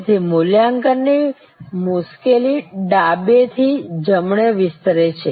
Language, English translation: Gujarati, So, the difficulty of evaluation extends from left to right